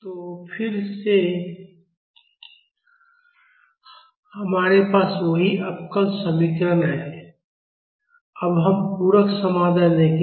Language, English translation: Hindi, So, again we have the same differential equation; now we will look at the complementary solution